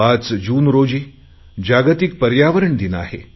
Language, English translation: Marathi, 5th June is World Environment Day